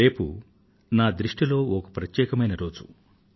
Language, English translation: Telugu, tomorrow, in my view, is a special day